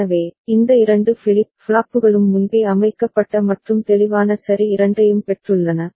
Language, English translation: Tamil, So, these two flip flops have got both pre set and clear ok